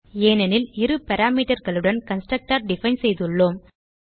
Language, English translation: Tamil, This is simply because we have defined a constructor with two parameters